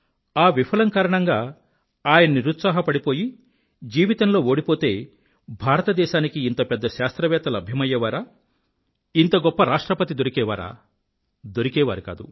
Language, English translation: Telugu, Now suppose that this failure had caused him to become dejected, to concede defeat in his life, then would India have found such a great scientist and such a glorious President